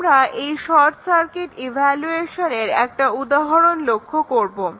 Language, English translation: Bengali, This is just an example of the effect of short circuit evaluation